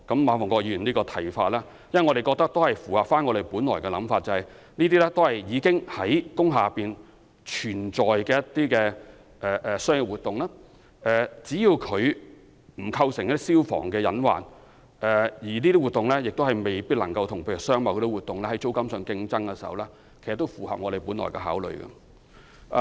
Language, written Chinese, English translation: Cantonese, 我們覺得馬逢國議員的看法符合我們本來的想法，即那些一直在工廈營運的商業活動，只要不構成消防的隱患，亦不會與商貿活動在租金上有競爭，便可以繼續營運，這其實也符合我們本來的計劃。, We think Mr MA Fung - kwok concurs with our view that business activities which have long existed in industrial buildings should be allowed to continue with their operation as long as they do not create fire risks or drive up the rentals of industrial building units for commercial uses . This stance is actually in line with the intention of our original scheme